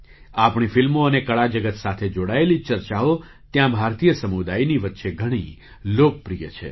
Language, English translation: Gujarati, Our films and discussions related to the art world are very popular among the Indian community there